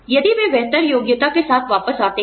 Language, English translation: Hindi, If they come back with a better qualification